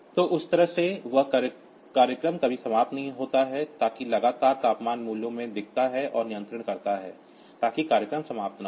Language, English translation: Hindi, So, that way that program never ends, so that continually looks into the temperature values and does the control, so that program does not end